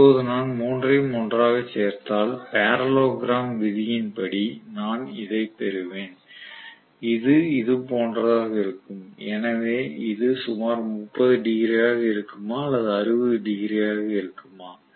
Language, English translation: Tamil, Now if I add all the 3 together right, I will have the resultant by parallelogram law of addition somewhat like this which is going to be like this, so this is about 30 degrees or 60 degrees